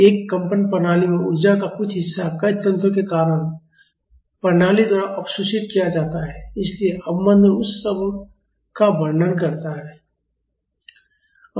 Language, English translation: Hindi, So, in a vibrating system some part of energy is absorbed by the system due to many mechanisms so, damping describes all that